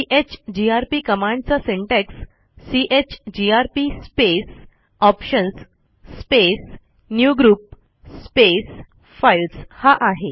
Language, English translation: Marathi, The syntax for the chgrp command is chgrp space [options] space newgroup space files